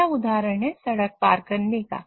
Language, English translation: Hindi, The next example is crossing the road